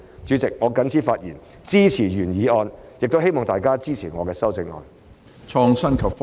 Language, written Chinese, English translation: Cantonese, 主席，我謹此發言，支持原議案，亦希望大家支持我的修正案。, With these remarks President I support the original motion and hope that Members will support my amendment